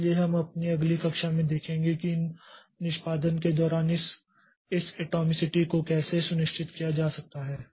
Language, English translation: Hindi, So, we'll see in our next class how this atomicity can be ensured across these executions